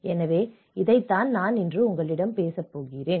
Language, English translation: Tamil, So, this is what I am going to talk about